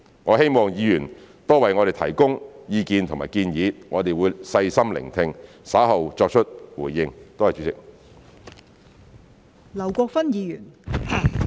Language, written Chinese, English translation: Cantonese, 我希望議員多為我們提供意見和建議，我們會細心聆聽，稍後作出回應。, I hope that Members will give us more advice and suggestions and I shall listen attentively and respond to them later